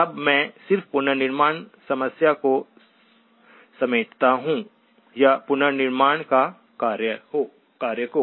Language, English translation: Hindi, Now let me just frame the reconstruction problem that, or the task of reconstruction